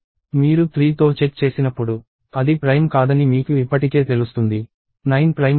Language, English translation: Telugu, When you check against 3, you already know that it is not prime; 9 is not prime